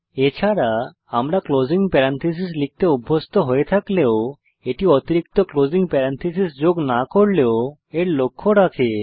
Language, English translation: Bengali, Also note that if we are accustomed to type the closing parenthesis also, then it takes care of it by not adding the extra closing parenthesis